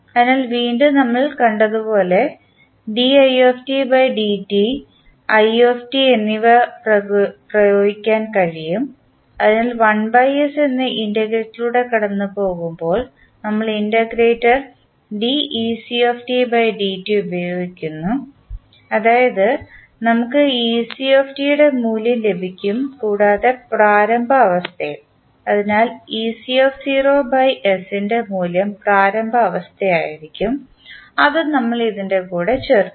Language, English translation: Malayalam, So, again as we saw in case of i dot and i the same we can apply here, so we use integrator ec dot when we pass through integrator that is 1 by S we get the value of ec and plus the initial condition so the value of ec at time t is equal to 0 by S will be the initial condition which we add